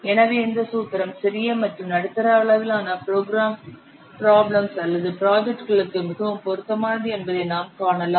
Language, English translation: Tamil, So, you can see this formula is very much suitable for the small and medium size problems or projects